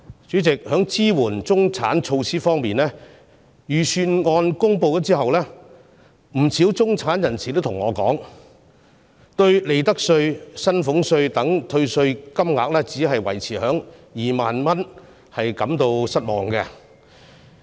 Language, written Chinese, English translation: Cantonese, 主席，在支援中產的措施方面，預算案公布之後，不少中產人士向我表示，他們對利得稅、薪俸稅等退稅金額只維持在2萬元，感到失望。, Chairman concerning measures for supporting the middle class after the Budget announcement I have been told by many middle - class people that they were disappointed about the tax reduction amount in respect of profits tax salaries tax etc . being maintained at 20,000